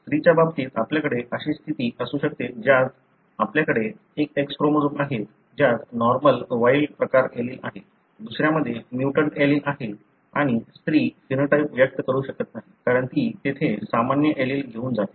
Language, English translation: Marathi, In case of female you may have a condition wherein you have one X chromosome which has got normal wild type allele, other one is having a mutant allele and the female may not express the phenotype, because she carries the normal allele there